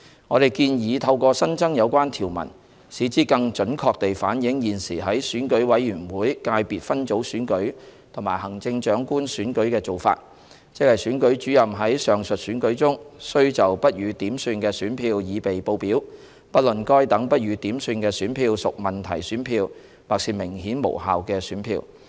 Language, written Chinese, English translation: Cantonese, 我們建議透過新增有關條文，使之更準確地反映現時在選舉委員會界別分組選舉和行政長官選舉的做法，即選舉主任在上述選舉中須就不予點算的選票擬備報表，不論該等不予點算的選票屬問題選票或是明顯無效的選票。, We propose that these new clauses be added to better reflect the existing arrangement of the Election Committee Subsector Elections and the Chief Executive Election where the Returning Officer of the respective election is to prepare a statement of ballot papers that are not counted irrespective of whether the ballot papers concerned are questionable ballot papers or clearly invalid ones